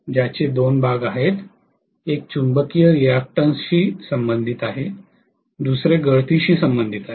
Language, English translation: Marathi, Which has two portions, one corresponding to the magnetizing reactance, the other one corresponding to leakage